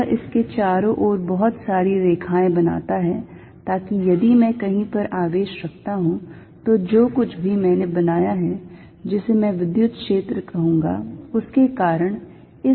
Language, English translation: Hindi, It creates a lot of lines around it, so that if I put a charge somewhere, because of this whatever I have created which I am going to call the electric field, a force is applied on this